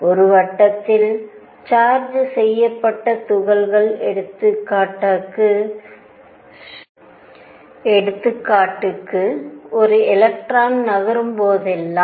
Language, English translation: Tamil, You see whenever there is a particle moving in a circle a charged particle for an example an electron right